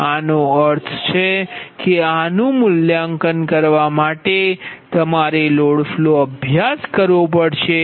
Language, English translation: Gujarati, that means for this one evaluate this, you have to have a load flow studies